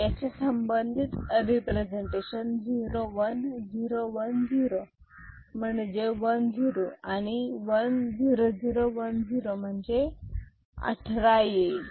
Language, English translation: Marathi, These are the corresponding representation 0 1 0 1 0 that is your 10 and 1 0 0 1 0 that is your 18 ok